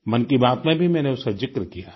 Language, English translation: Hindi, I have touched upon this in 'Mann Ki Baat' too